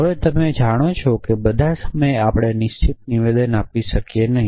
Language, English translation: Gujarati, Now, you know that not all the time we can make definitive statement